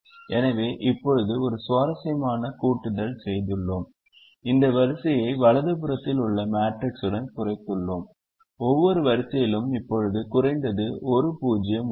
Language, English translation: Tamil, so now we have reduced this matrix to the one on the right hand side, with a very interesting addition: that every row now has atleast one zero